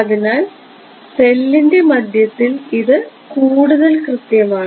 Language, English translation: Malayalam, So, its more accurate in the middle of the cell